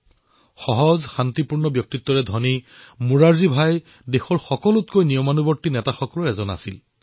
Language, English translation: Assamese, A simple, peace loving personality, Morarjibhai was one of the most disciplined leaders